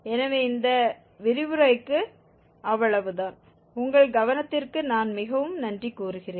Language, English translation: Tamil, So that is all for this lecture and I thank you very much for your attention